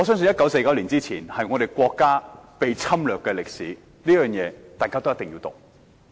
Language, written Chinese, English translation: Cantonese, 1949年之前我們國家一直被人侵略，我相信這段歷史大家一定要讀。, Before 1949 China was constantly under the threat of foreign invasion and I think we must all study the history of that period